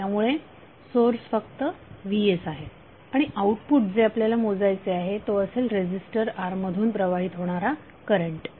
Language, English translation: Marathi, So the source is only Vs and the output which we want to measure is current flowing through resistor R